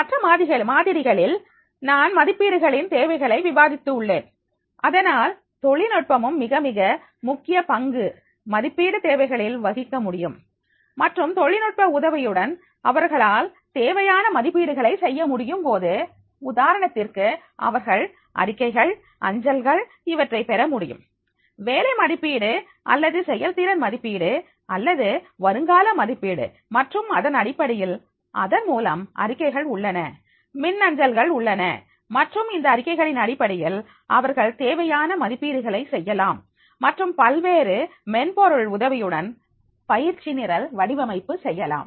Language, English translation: Tamil, In the other modules I have discussed the needs assessment and therefore the technology can also play a very very important role in the need assessments and when they are able to do these need assessment with the help of the technology, for example, they get the reports, they get the emails, they get the job evaluation or the performance appraisals or the potential appraisals and then on basis of that through the reports on these, they are through emails, then on basis of that those reports they can make the need assessment and with the help of the different software, the design of the training program can be done